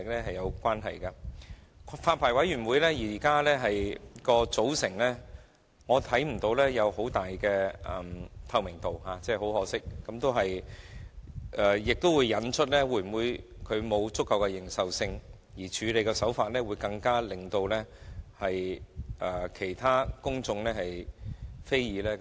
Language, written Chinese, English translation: Cantonese, 很可惜，我看不到發牌委員會的組成具有很大的透明度，而這亦將引發發牌委員會有否足夠認受性的問題，並導致其處理手法引起公眾非議。, To my regret I fail to see that the constitution of the Licensing Board has a high degree of transparency . This will not only lead to the publics query about the credibility the Licensing Board but also their disapproval of its practices